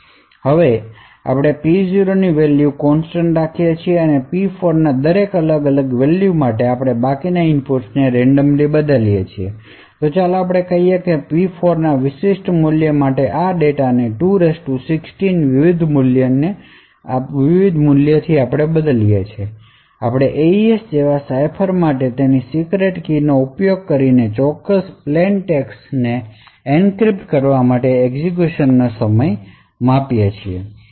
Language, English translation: Gujarati, Now we keep the value of P0 as constant and for each different value of P4 we change the remaining inputs randomly, so let us say we change for over like 2^16 different values of this data for a specific value of P4, we measure the execution time required for the cipher like AES to encrypt that particular plaintext using its secret key